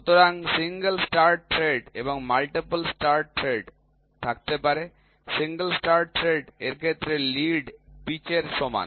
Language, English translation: Bengali, So, there can be single start thread and multiple start threads, in case of a single start thread the lead is equal to pitch